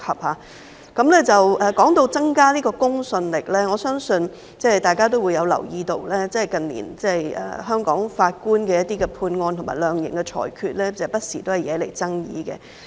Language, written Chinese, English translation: Cantonese, 說到增加公信力，我相信大家也留意到，近年香港法官的一些判案和量刑的裁決，不時惹來爭議。, Speaking of enhancing credibility I believe Members have noticed that the rulings and sentences handed down by some Hong Kong judges in recent years have aroused controversies time and again